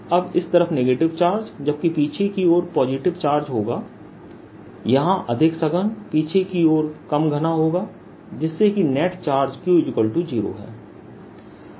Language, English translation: Hindi, now, on this side there will be negative charge, more dense here, less dense in the back side, and on back side will be positive charge, so that net charge q is zero